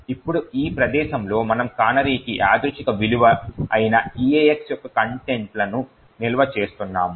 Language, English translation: Telugu, Now at this location we are storing the contents of EAX which is the random value for the canary